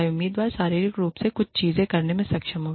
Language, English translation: Hindi, Whether the candidate is physically, able to do certain things